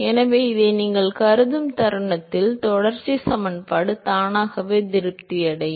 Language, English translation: Tamil, So, moment you assume this the continuity equation is automatically satisfied